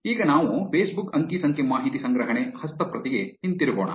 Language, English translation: Kannada, Now, let us go back to the Facebook data collection script